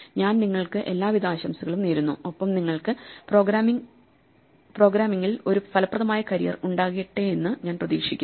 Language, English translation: Malayalam, So, with this I wish you all the best and I hope that you have a fruitful career ahead in programming